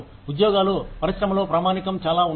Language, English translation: Telugu, Jobs are fairly standardized within the industry